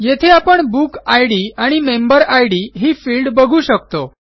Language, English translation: Marathi, Here, we see the Book Id and Member Id fields